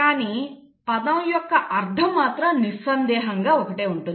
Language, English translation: Telugu, But a meaning of the word is unambiguous